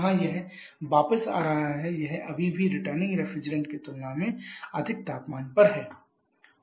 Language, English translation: Hindi, Where it is coming back it still has is at a higher temperature compared to the returning refrigerator